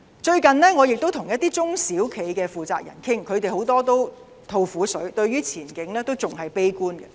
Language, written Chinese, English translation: Cantonese, 最近我跟一些中小型企業負責人傾談，他們很多都大吐苦水，對前景感到悲觀。, Recently I have met with those in charge of local small and medium enterprises SMEs; many of them aired their grievances to me and they felt pessimistic about the prospect